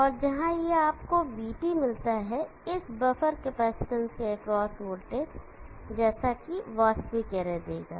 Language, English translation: Hindi, And where it you get VT, the voltage across this buffer capacitor will give the actual array